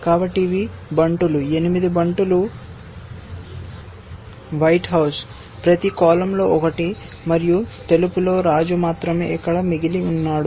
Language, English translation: Telugu, So, these are pawns, 8 pawns white house, one in each column, and white has only the king left here essentially